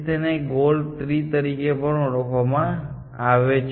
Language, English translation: Gujarati, These are also known as goal trees